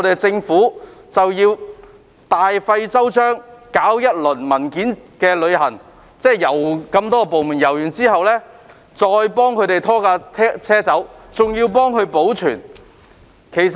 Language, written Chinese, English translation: Cantonese, 政府大費周章，搞一輪"文件旅行"，即經各部門審批文件後，才把有關車輛拖走並保存。, The Government takes great pains to facilitate document vetting by various departments before a vehicle can be towed away and detained